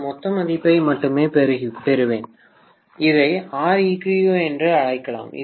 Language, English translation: Tamil, I would only get the total value, so I may call this as R equivalent